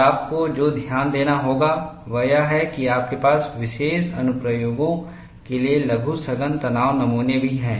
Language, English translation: Hindi, And what you will have to note is, you also have miniature compact tension specimens, reported for special applications